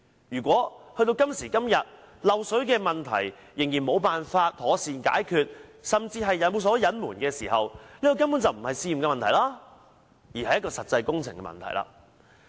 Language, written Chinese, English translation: Cantonese, 如果到了今時今日，漏水問題仍然無法妥善解決，甚至有所隱瞞，這根本不是試驗的問題，而是實際的工程問題。, If to this day such water leakage problems still cannot be properly solved and are even concealed then they are not problems detected during testing but are actual construction problems